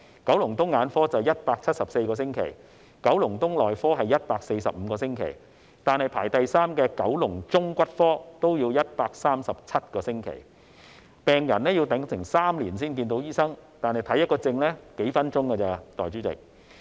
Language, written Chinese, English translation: Cantonese, 九龍東眼科是174個星期，九龍東內科是145個星期，排名第三的九龍中骨科也要137個星期，病人要等候3年才能見醫生，但診症只花數分鐘。, The waiting time for ophthalmology specialist in Kowloon East was 174 weeks for medicine specialist in Kowloon East was 145 weeks . Orthopaedics and traumatology specialist in Kowloon Central ranked third with a waiting time of 137 weeks . Patients had to wait three years for consultation which lasts only a few minutes